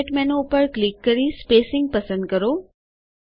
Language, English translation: Gujarati, click on Format menu and choose Spacing